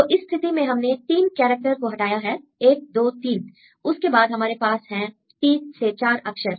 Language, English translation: Hindi, So, in this case, we moved 3 characters 1, 2, 3; then we have 3 to 4 3 letters 1 2 3 they are aligned